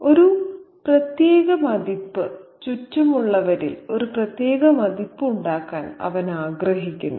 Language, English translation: Malayalam, He wants to make a particular impression, a specific impression on those around him